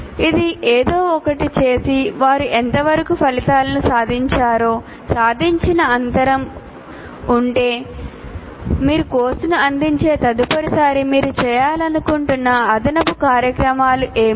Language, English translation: Telugu, That is having done something, having found out to what extent they have attained the outcomes, if there is an attainment gap, what is the additional activities that you would like to do next time you offer the course